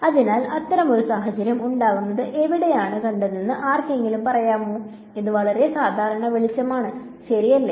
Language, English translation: Malayalam, So, can anyone tell me where you have seen such a situation arise; it is very common light right